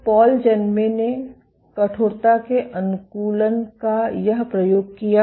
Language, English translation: Hindi, So, Paul Janmey we did this experiment of stiffness adaptation